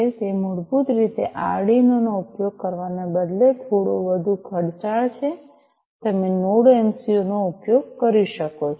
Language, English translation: Gujarati, So, basically instead of using Arduino which is a little bit more expensive you could use the Node MCU